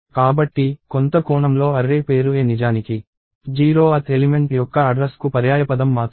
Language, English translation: Telugu, So, in some sense the name of the array a is actually only a synonym to the address of the 0th element